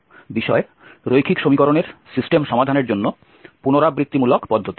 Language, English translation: Bengali, So this is lecture number 21 on iterative methods for solving system of linear equations